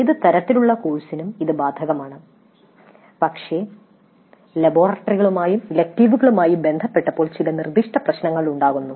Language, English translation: Malayalam, It is applicable to any kind of a course, but when it is concerned with the laboratories and electives certain specific issues crop up